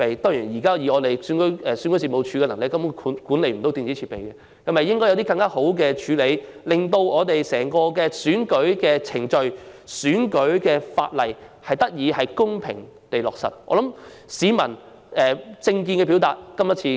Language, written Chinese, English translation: Cantonese, 當然，以目前選舉事務處的能力，根本無法管理電子設備，但是否應該有更好的處理方法，令整個選舉程序得以公平地進行、選舉法例得以落實？, Certainly considering the current capacity of REO it will not be able to manage electronic facilities but should better ways be employed to ensure that the entire electoral process can be conducted in a fair manner and that provisions in the electoral legislation can be implemented?